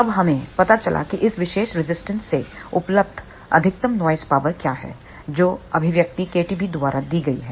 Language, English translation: Hindi, Then we found out what is the maximum available noise power from this particular resistor that is given by the expression kTB